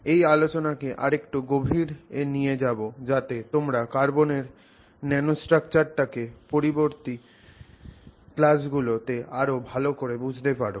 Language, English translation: Bengali, We will take that discussion a little deeper so that you can use that discussion to better understand the nanostructures of carbon that we will discuss in the subsequent classes